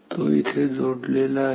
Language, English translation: Marathi, It is connected here